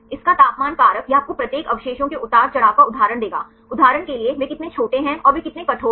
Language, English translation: Hindi, Its temperature factor this will give you the fluctuations of each residues right for example, how much they fluctuated and how far they are rigid